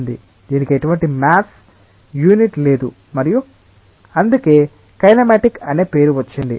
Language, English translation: Telugu, It does not have any maths unit involved with it and that is why the name kinematic